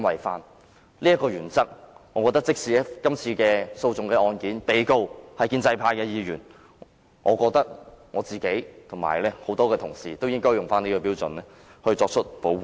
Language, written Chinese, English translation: Cantonese, 基於這原則，如果這次訴訟的被告是建制派議員，我和其他同事也應該根據這標準作出保護。, Based on this principle if the defendant in this lawsuit were a pro - establishment Member we and other Members should likewise accord protection to him under the same principle